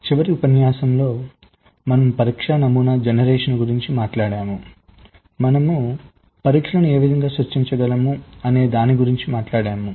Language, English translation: Telugu, so in the last lecture we talked about test pattern generation, how we can generate tests